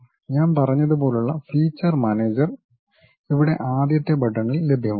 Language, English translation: Malayalam, And features managers like I said, those things will be available at the first button here